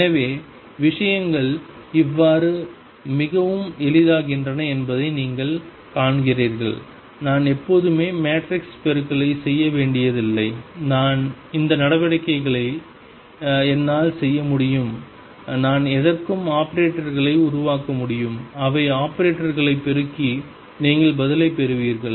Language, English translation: Tamil, So, you see how things become very easy I do not really have to do matrix multiplication all the time and I can perform these operations, I can make operators for anything, they just multiply the operators and you get the answer